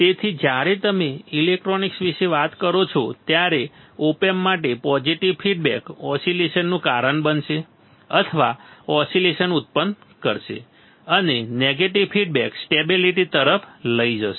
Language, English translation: Gujarati, So, for the op amp when you talk about electronics a positive feedback will cause oscillation or generate oscillations and negative feedback will lead to stability ok